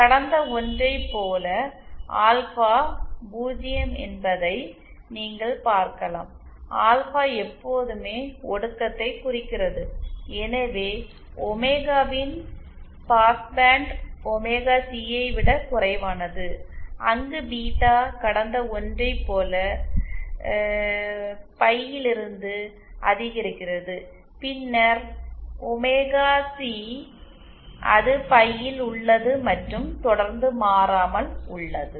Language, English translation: Tamil, As you can see alpha is 0 in the past one, alpha always represents attenuation, hence this is the past band of omega lesser than omega C, where as beta increases from 0 pie from the past one and then omega c it remains at pie and remains constant after